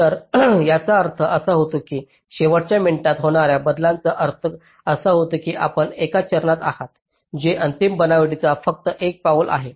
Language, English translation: Marathi, so what it refers is that this refers to a last minute changes that mean you are in a step which is just one step before the final fabrication